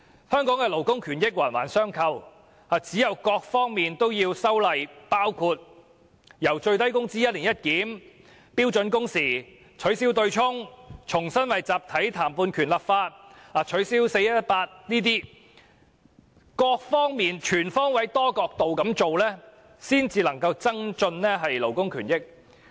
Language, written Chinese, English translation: Cantonese, 香港的勞工權益環環相扣，唯有修訂各方面的法例，包括最低工資的"一年一檢"、標準工時、取消"對沖"機制、重新為集體談判權立法和取消 "4-18" 規定，全方位、多角度下工夫，方能增進勞工權益。, Labour rights in Hong Kong are inter - related . They can only be improved if legislative amendments are made in all aspects including reviewing the minimum wage on an annual basis implementing standard working hours abolishing the offsetting mechanism legislating for collective bargaining right again and removing the 4 - 18 rule; holistic efforts directed from different angles are also necessary